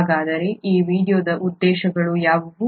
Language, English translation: Kannada, So what are the objectives of this video